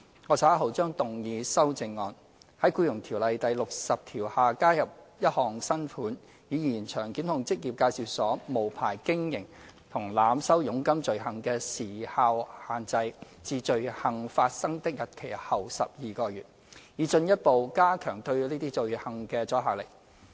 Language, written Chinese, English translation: Cantonese, 我稍後將動議修正案，在《僱傭條例》第60條下加入一項新款，以延長檢控職業介紹所無牌經營和濫收佣金罪行的時效限制至罪行發生的日期後12個月，以進一步加強對這些罪行的阻嚇力。, I will later on move an amendment proposing to add a new subsection under section 60 of EO to extend the time limit for prosecution of an offence of unlicensed operation of employment agencies and overcharging of commission to within 12 months after the date of the commission of the offence in order to enhance further the deterrent effect against those offences